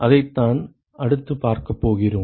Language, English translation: Tamil, We are going to see that next